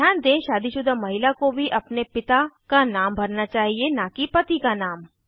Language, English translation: Hindi, Note that married women should also give their fathers and not their husbands name